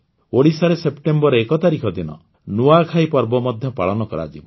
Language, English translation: Odia, The festival of Nuakhai will also be celebrated in Odisha on the 1st of September